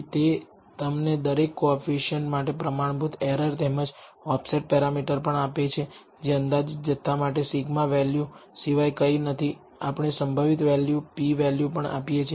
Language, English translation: Gujarati, It also gives you the standard error for each coefficient as well as the offset parameter which is nothing but the sigma value for the estimated quantities and it also gives you the probability values p values as we call them